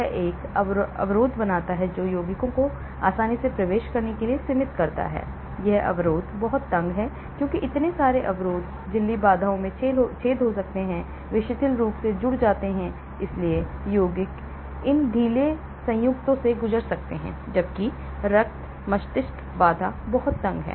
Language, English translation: Hindi, It forms a barrier that limits compounds to penetrate easily , this barrier is very tight because so many barriers; membrane barriers may have holes; they are loosely joined, so compounds can pass through these loose joint, whereas blood brain barrier is very tight